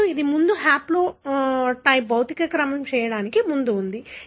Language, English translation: Telugu, Now, this was before, the haplotype was before the physical ordering was done